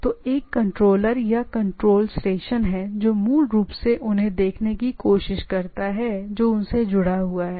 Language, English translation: Hindi, So, there is a controller or control station which basically tries to see that that which is connected